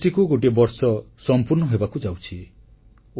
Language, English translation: Odia, It's been an year when GST was implemented